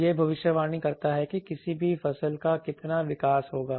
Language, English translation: Hindi, It predicts how much the growth of any crop will be there